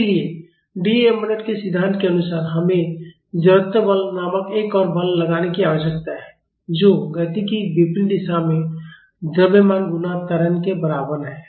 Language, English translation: Hindi, So, according to D’Alembert’s principle we need to apply one more force called inertia force which is equal to mass times acceleration in the opposite direction of motion